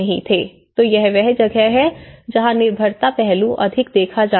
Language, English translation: Hindi, So, this is where the dependency aspect is seen more